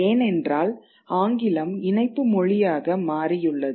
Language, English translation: Tamil, This English becomes the link language